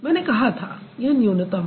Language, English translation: Hindi, So, I did say it has to be minimal